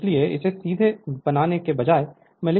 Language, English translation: Hindi, So, so instead of making the directly you can write that I m is equal to minus j 36 ampere